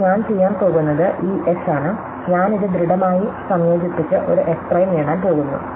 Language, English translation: Malayalam, Now, what I am going to do is this S, I am going to concretely fuse this and get an S prime